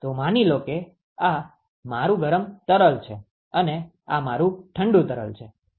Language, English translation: Gujarati, So, supposing if this is my hot fluid and this is my cold fluid